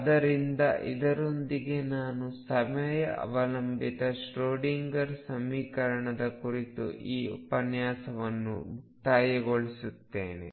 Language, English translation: Kannada, So, with this I conclude this lecture on time dependent Schroedinger equation